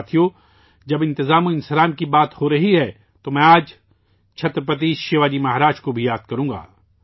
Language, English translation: Urdu, Friends, when it comes to management, I will also remember Chhatrapati Shivaji Maharaj today